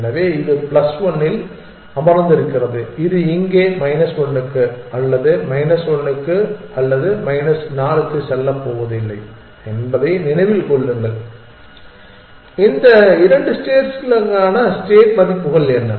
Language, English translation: Tamil, So, it is sitting at plus one just keep that in mind it is not going to move to minus 1 here or to minus 1 here or to minus 4 here what are the states values for these 2 states